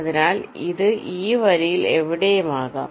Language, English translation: Malayalam, so this, along this line, it can be anywhere